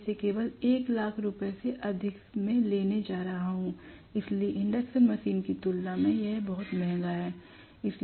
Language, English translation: Hindi, I am going to get it only for more than 1 lakh rupees, so it is very costly compared to the induction machine